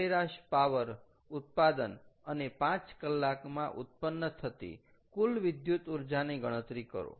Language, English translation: Gujarati, calculate the average power output and the total electrical energy produced in five hours